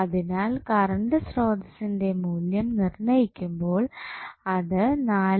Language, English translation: Malayalam, So, when you calculate the value of source current it will become 4